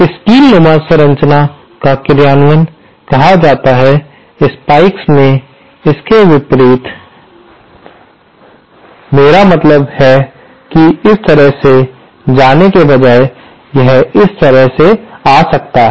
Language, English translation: Hindi, That is called the spike implementation, in the spike, by opposite I mean instead of this going this way, it can come this way